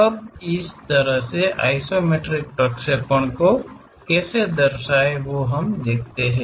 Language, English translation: Hindi, Now, how to draw such kind of isometric projections